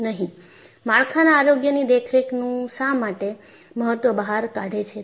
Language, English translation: Gujarati, Why it has broughtout the importance of structural health monitoring